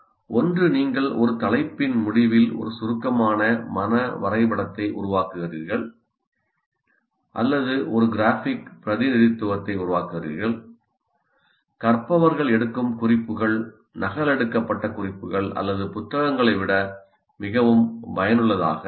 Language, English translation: Tamil, So either you do a pre see, making a mind map at the end of a topic, or creating a graphic representation, notes made by the learners are more effective than copied notes or books